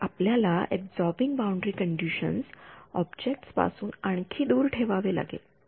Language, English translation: Marathi, So, you would have to put the absorbing boundary condition further away from the objects